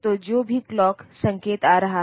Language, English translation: Hindi, So, whatever clock signal is coming in